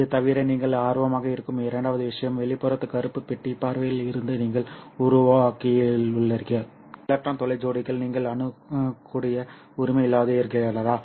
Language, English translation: Tamil, In addition to this, the second thing that you might be interested is, as from the external black box point of view, you have generated some electron hole pairs, which you probably don't have an access to